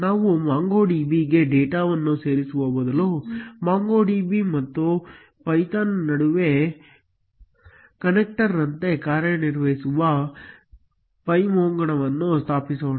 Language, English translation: Kannada, Before we insert data into a MongoDB, let us first install pymongo which acts like a connector between MongoDB and python